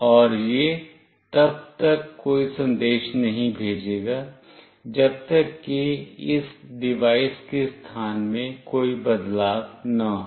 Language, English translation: Hindi, And it will not send any message unless there is a change in the position of this device